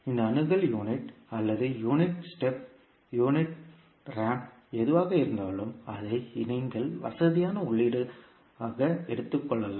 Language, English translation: Tamil, So, this access can be either unit impulse or maybe unit step function, unit ramp, whatever it is, you can assume it convenient input